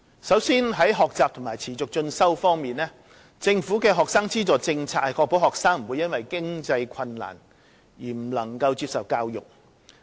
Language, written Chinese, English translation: Cantonese, 首先是學習和持續進修方面。政府的學生資助政策是確保學生不會因經濟困難而未能接受教育。, First about learning and continuing education the Governments policy on student finance is to ensure that no student is denied access to education due to lack of means